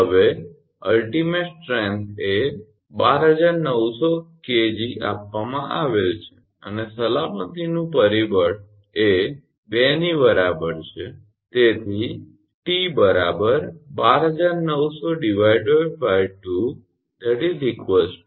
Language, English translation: Gujarati, Now, ultimate strength is given 12900 kg and factor of safety is equal to 2 therefore, T will be 12900 by 2